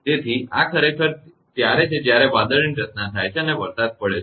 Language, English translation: Gujarati, So, this is actually when cloud formation and rain right